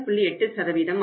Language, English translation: Tamil, 8% as a percentage